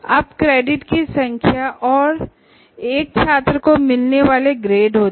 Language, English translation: Hindi, Here they are characterized by the number of credits and the grade that a student gets